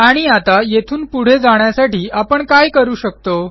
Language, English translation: Marathi, And how do we want to proceed from here